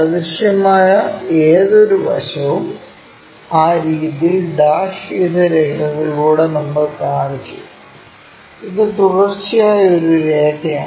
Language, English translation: Malayalam, Any invisible side we showed them by dashed lines in that way and this is a continuous line